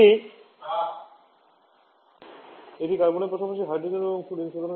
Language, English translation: Bengali, It is only hydrogen and fluorine along with carbon